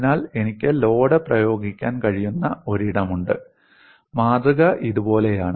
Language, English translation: Malayalam, So, I have a place where I can apply the load and the specimen is like this